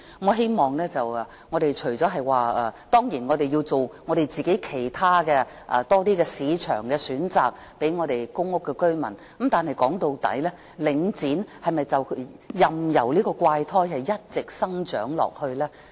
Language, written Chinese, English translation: Cantonese, 我們當然要提供更多其他市場選擇給公屋居民，但說到底，我們是否任由領展這個怪胎一直生長下去呢？, We certainly need to provide more other choices of markets for public housing residents but after all are we going to allow Link REIT this freak to keep growing?